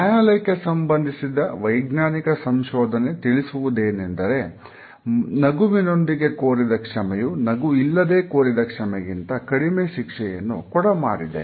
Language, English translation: Kannada, Scientific research in courtrooms shows whether an apology of a with smile encores a lesser penalty with an apology without one